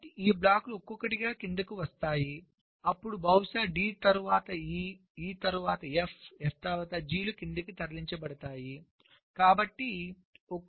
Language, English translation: Telugu, so one by one these blocks will come down, then the d, possibly d, will be moved down, then e, then f, then g